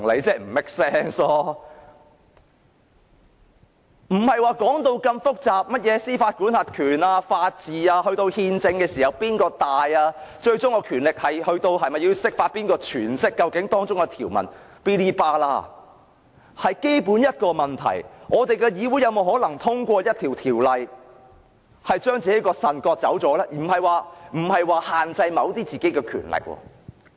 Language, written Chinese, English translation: Cantonese, 不要說到這麼複雜，甚麼司法管轄權、法治、憲制、最終權力、是否要釋法、誰詮釋條文等，只要問一個基本問題：我們的議會有否可能通過一項法案，將自己的腎臟割走呢？不僅是限制本身某些權力。, We do not have to go so far as to talk about the jurisdiction the rule of law the Constitution the ultimate power the need for interpretation and who should interpret the provisions . We have to ask one basic question only Is it possible for the Council to pass a Bill that not only limits our powers but cuts off our kidney?